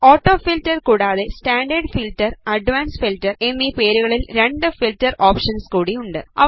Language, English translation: Malayalam, Apart from AutoFilter, there are two more filter options namely Standard Filter and Advanced Filter which we will learn about in the later stages of this series